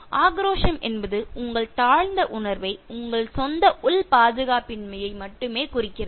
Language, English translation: Tamil, Aggressiveness only indicates your inferior feeling, your own inner insecurity